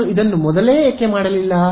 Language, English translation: Kannada, So, why did not I do this earlier